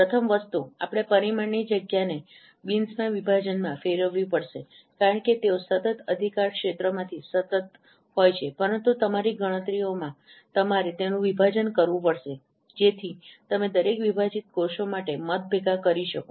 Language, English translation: Gujarati, First thing we have to discretize the parameter space into bins because no, though they continuously they are from the continuous domain, but in your computations you have to discretize them so that you can accumulate votes for each discretized cells